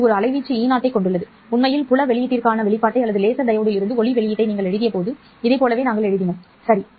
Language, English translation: Tamil, In fact, when we wrote down the expression for the field output or the light output from the laser diode, we wrote very similar to this